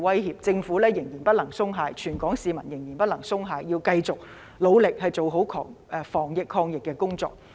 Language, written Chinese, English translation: Cantonese, 因此，政府仍然不能鬆懈，全港市民仍然不能鬆懈，要繼續努力做好防疫及抗疫工作。, Therefore the Government cannot let its guard down and all Hong Kong people have to stay alert . We must continue with our efforts to prevent and fight the epidemic